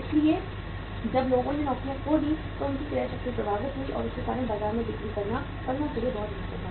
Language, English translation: Hindi, So when people lost jobs their purchasing power was affected and because of that the uh say selling in the market was very difficult for the firms